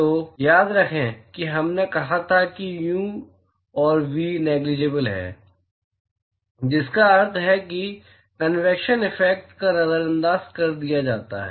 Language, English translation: Hindi, So, remember that we said that the u and v are negligible, which means that the convection effects are ignored